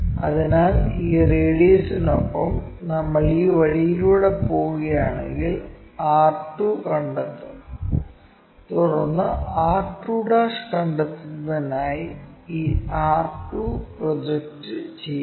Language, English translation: Malayalam, So, with this radius if we are going in this way we will locate r2, then project this r 2 all the way to locate r2'